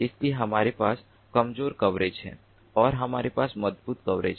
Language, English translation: Hindi, so we have weak coverage and we have strong coverage